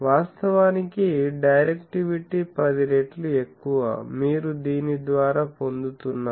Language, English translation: Telugu, So, actually directivity is 10 times that, you are getting by this one